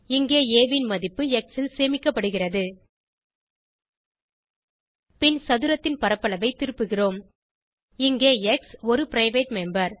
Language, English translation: Tamil, Here the value of a is stored in x Then we return the area of the square Here x is a private member